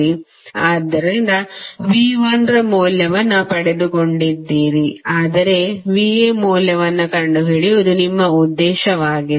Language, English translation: Kannada, So, you got the value of V 1 but your objective is to find the value of V A